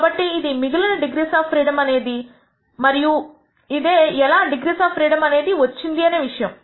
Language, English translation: Telugu, So, the remaining degrees of freedom is this and that is how this number of number of degrees of freedom comes about